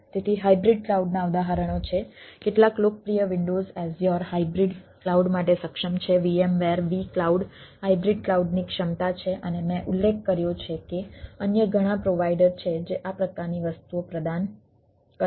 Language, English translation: Gujarati, so exam: there are examples of hybrid cloud: some of the popular windows azure capable of hybrid cloud, vmware, v cloud, there are capability of hybrid cloud and, as i have mentioning that, there are several ah other providers which which helps us in which provide this type of things